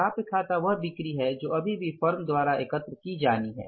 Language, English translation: Hindi, Accounts receivables are the sales which are still to be collected by the firm